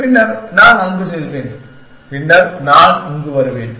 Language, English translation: Tamil, Then I will go there and then I will come back here